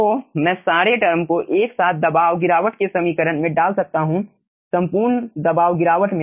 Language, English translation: Hindi, so all these terms simultaneously i can put in the equation of the aah pressure drop over all pressure drop